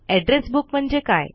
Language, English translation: Marathi, What is an Address Book